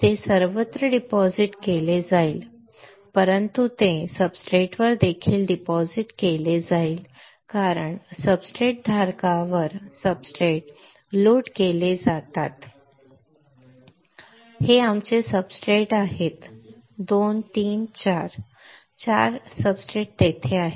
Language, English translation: Marathi, It will deposit everywhere, but it would also deposit on the substrate because substrates are loaded on the substrate holder right these are our substrate one 2 3 4, 4 substrates are there